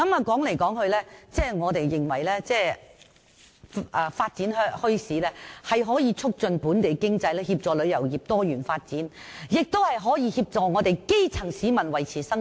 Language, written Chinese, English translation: Cantonese, 總結而言，我們認為發展墟市可以促進本地經濟，協助旅遊業多元發展，也可以協助基層市民維持生計。, In conclusion we consider that bazaars can promote the development of local economy and assist grass - roots people to earn their living